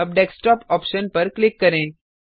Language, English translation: Hindi, Now click on the Desktop option